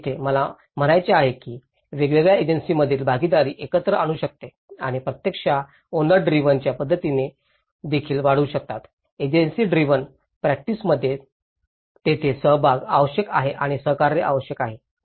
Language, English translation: Marathi, So, here what I mean to say is the partnership between various agencies can bring together and can actually enhance the owner driven practices also, the agency driven practices this is where the participation is required and the cooperation is required